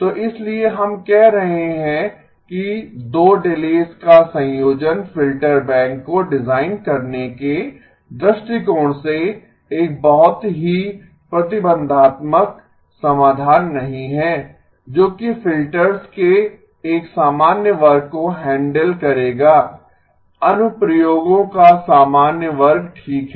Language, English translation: Hindi, So that is why we are saying the combination of 2 delays is not a is a very restrictive solution from the point of view of designing a filter bank that will handle a general class of filters, general class of applications okay